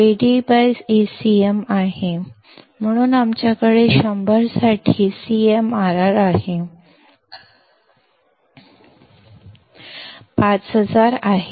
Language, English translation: Marathi, CMRR is Ad by Acm; so, we have CMRR for 100; Ad is 5000